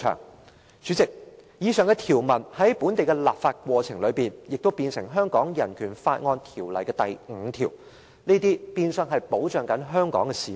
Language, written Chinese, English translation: Cantonese, "代理主席，以上條文在本地立法過程中，成為《香港人權法案條例》第8條的第五條，變相保障香港市民。, Deputy Chairman during the course of local legislation the provisions mentioned just now became Article 5 in section 8 of BORO virtually protecting the people of Hong Kong